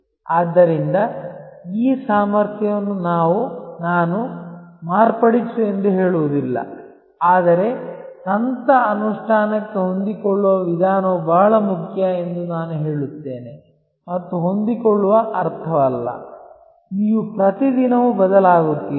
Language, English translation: Kannada, So, this ability to, I would not say modify, but I would say a flexible approach to strategy implementation is very important and flexible does not mean, that you change every other day